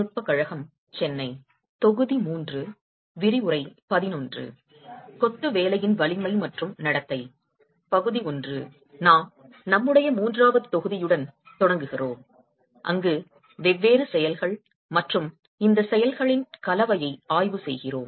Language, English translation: Tamil, Okay, we start with our third module where we examine different actions and a combination of these actions